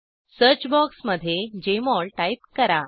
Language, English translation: Marathi, Type Jmol in the search box